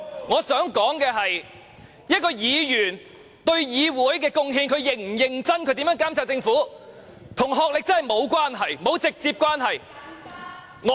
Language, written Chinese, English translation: Cantonese, 我想說的是，一名議員對議會是否有貢獻，視乎他是否認真及如何監察政府，與學歷真的沒有直接關係。, My point is that the contribution of a Member to the legislature is determined by whether he is serious and how he monitors the Government having no direct link with his academic qualification